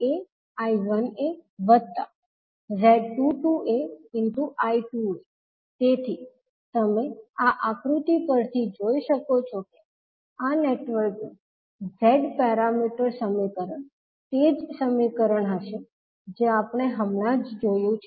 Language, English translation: Gujarati, Similarly, V 2a can be written as Z 21a I 1a Z 22a I 2a, so you can see from this particular figure this would be the Z parameter equations of this network will be the equation which we just saw